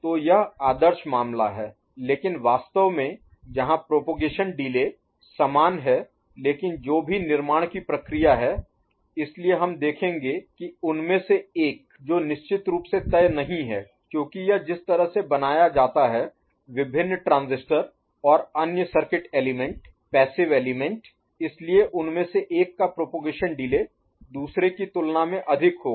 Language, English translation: Hindi, So, that is the ideal case where the propagation delays are identical but whatever be the fabrication process or so we will see that one of them which is not, for sure because of the way it gets fabricated, different transistors and other things are there in the circuit element, passive element so, one of them will be having a higher you know, propagation delay than the other